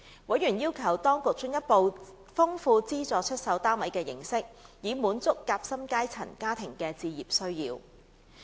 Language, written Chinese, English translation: Cantonese, 委員要求當局進一步豐富資助出售單位的形式，以滿足"夾心階層"家庭的置業需要。, They called on the authorities to expand the form of subsidized home ownership with a view to satisfying the home ownership needs of sandwich class families